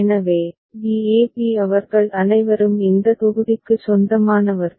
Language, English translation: Tamil, So, b a b all of them belong to this block